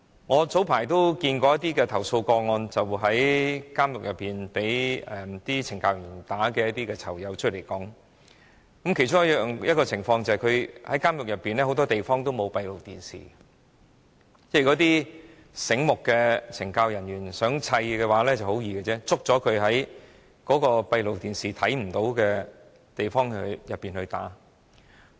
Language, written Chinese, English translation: Cantonese, 我早前接觸過一些曾在監獄內被懲教人員毆打的囚友，他們出獄後告訴我，監獄內很多地方沒有閉路電視，一些醒目的懲教人員如果想毆打囚友，會在閉路電視拍攝不到的地方毆打他們。, Not long ago I came into contact with some former inmates who had been assaulted by correctional services officers in prison . They told me after they had been released from prison that as closed circuit television CCTV cameras were not installed in many parts of the prisons some smart correctional services officers who wanted to assault inmates would do so at places outside the range of CCTV cameras